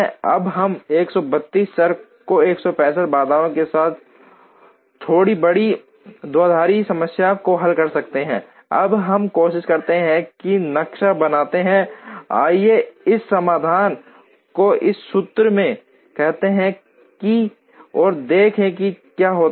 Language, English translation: Hindi, Now we solve a slightly large binary problem with 132 variables and 165 constraints, now let us try and map, let us say this solution into this formulation and see what happens